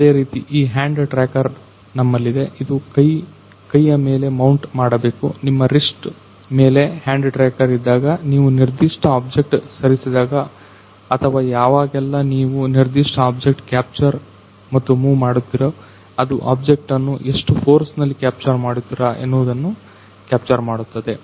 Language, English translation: Kannada, Similarly we are having this hand tracker, so you just had to mount this hand; hand tracker on your wrist so that whenever you will move certain object or whenever you will capture and move certain object you it can capture what with what force you are capturing that object